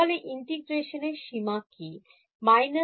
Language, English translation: Bengali, So, what should be the limits of integration